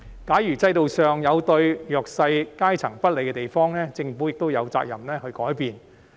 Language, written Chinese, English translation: Cantonese, 假如制度上有對弱勢階層不利的地方，政府亦有責任去改變。, The Government has the responsibility to make changes if the underprivileged have been put at a disadvantage under the system